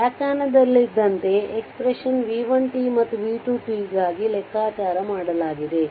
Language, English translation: Kannada, So, by definition we can calculate the expression for v 1 t and v 2 t